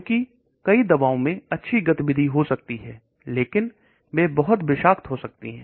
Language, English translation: Hindi, Because many drugs may have good activity but they may be very toxic